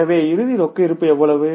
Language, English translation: Tamil, So closing cash balance is how much